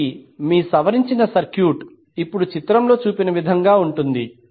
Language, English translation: Telugu, So, your modified circuit will now be as shown in the figure